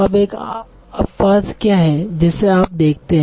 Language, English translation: Hindi, Now what is one exception that you see to this